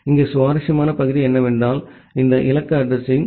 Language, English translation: Tamil, Here the interesting part is that, this destination address